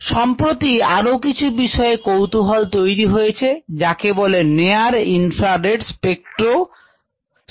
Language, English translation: Bengali, it is what is called near infra red spectroscopic interact